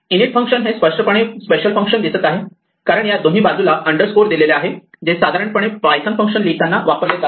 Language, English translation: Marathi, The function init clearly looks like a special function because of these underscore underscore on either side which we normally do not see when we or normally do not thing of using to write a python function